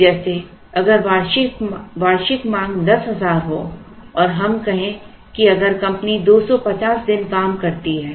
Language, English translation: Hindi, It will be like saying if the annual demand is ten thousand and let us say if the company works for two hundred and fifty days